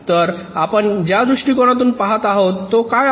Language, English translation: Marathi, so what is the approach we are looking at